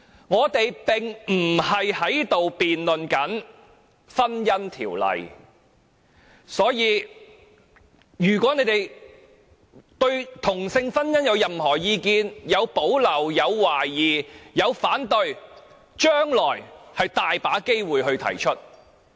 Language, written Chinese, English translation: Cantonese, 我們並非辯論《婚姻條例》，如果他們對同性婚姻有任何意見，不論是有保留、有懷疑或反對，將來還有很多機會可以提出。, We are not in a debate on the Marriage Ordinance . If they have any views on same - sex marriage be it of reservation doubt or opposition there will be lots of opportunities for them to express their views in the future